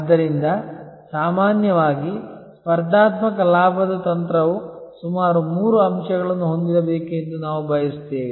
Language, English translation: Kannada, So, normally we prefer that a competitive advantage strategy should have about three points